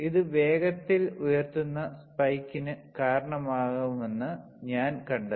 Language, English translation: Malayalam, I find that it will result in a fast raising spike